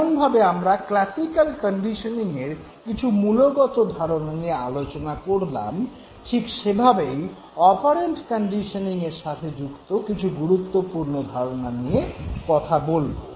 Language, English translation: Bengali, The way we discussed important concepts in classical conditioning, let us now talk about important concepts associated with operant conditioning